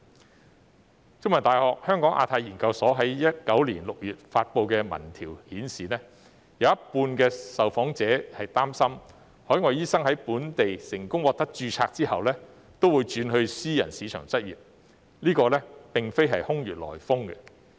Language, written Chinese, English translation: Cantonese, 香港中文大學香港亞太研究所在2019年6月發布的民調顯示，有一半受訪者擔心海外醫生在本地成功獲得註冊後，均會轉到私人市場執業，這並非空穴來風。, As indicated by the opinion survey released by the Hong Kong Institute of Asia - Pacific Studies of The Chinese University of Hong Kong in June 2019 half of the respondents were concerned that overseas doctors would switch to the private market after they succeeded in getting the local registration . Such concern is not unfounded